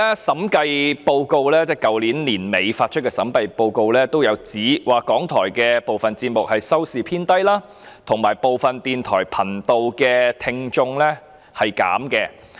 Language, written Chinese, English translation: Cantonese, 審計署於去年年底發出的審計報告書指出，港台部分節目的收視偏低，以及部分電台頻道的聽眾減少。, In the Audit Report published by the Audit Commission at the end of last year it is pointed out that the viewership of RTHK is on the low side and the number of listeners of certain radio channels is on decline